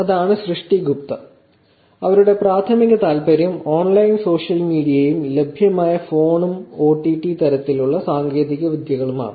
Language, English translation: Malayalam, That is Srishti Gupta, whose primary interest is studying the online social media and with the phone numbers and OTT kind of technologies that are available